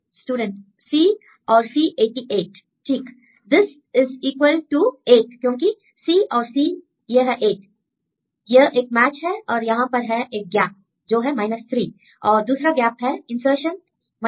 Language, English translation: Hindi, Right this equal to 8 because C and C this is 8; this is a match and here there is a gap is 3 and the other gap is insertion 3